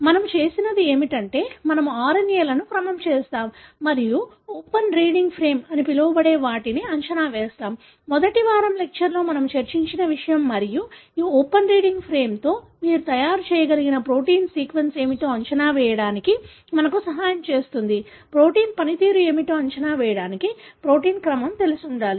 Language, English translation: Telugu, What we do is, we sequence the RNAs and predict what is called as open reading frame, something that we discussed in the first week lectures and this open reading frame help us to predict what the protein sequence that you could make is and you use the protein sequence to predict what could be the function of the protein